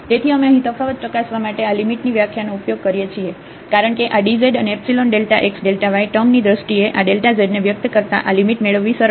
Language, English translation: Gujarati, So, we can use this limit definition here for testing the differentiability, because getting this limit is easier than expressing this delta z in terms of this dz and epsilon delta x delta y term